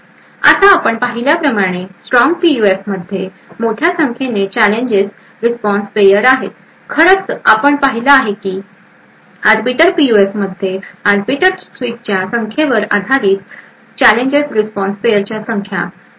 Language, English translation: Marathi, Now strong PUFs as we have seen has huge number of challenge response pairs, in fact we have seen that there is exponential number of challenge response pairs based on the number of arbiter switches present in the Arbiter PUF